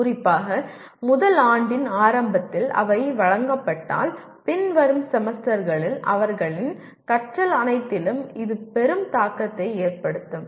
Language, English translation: Tamil, If they are given early especially in the first year, it will have a great impact on all their learning in the following semesters